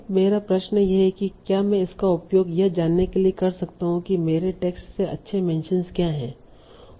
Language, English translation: Hindi, Now my question is can I use that together to find out what are good mentions also from my text